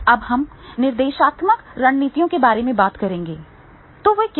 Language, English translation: Hindi, Now, we will talk about the instructional strategies